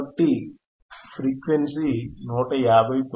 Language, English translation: Telugu, So, frequency is 159